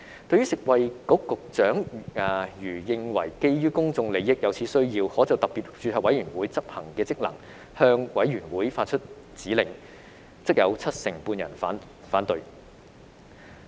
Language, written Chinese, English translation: Cantonese, 對於食物及衞生局局長如認為基於公眾利益而有此需要，可就特別註冊委員會執行的職能向委員會發出指令，則有七成半人反對。, As to whether the Secretary for Food and Health should issue a directive to SRC on the functions to be performed if considered necessary and in the public interest 75 % of the respondents opposed